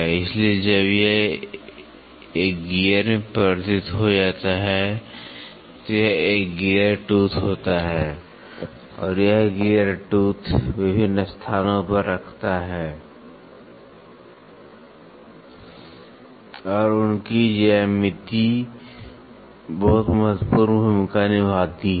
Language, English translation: Hindi, So, when it got converted into a gear this is a gear tooth and this gear tooth placing at different locations and their geometry plays a very very important role